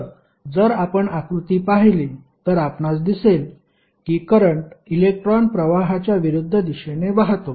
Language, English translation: Marathi, So, if you see the figure you will see that the flow of current is opposite to the direction of flow of electrons